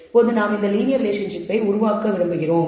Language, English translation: Tamil, We can also have what is called linear versus